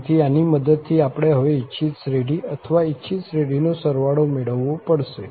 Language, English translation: Gujarati, So, with the help of this, we have to now get the desired series or sum of the desired series